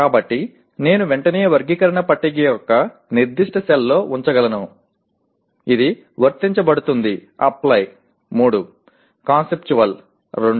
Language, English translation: Telugu, So I can immediately put it in the particular cell of the taxonomy table which will be Apply will be 3, Conceptual is 2